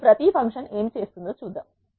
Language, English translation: Telugu, Let us see what each of these functions does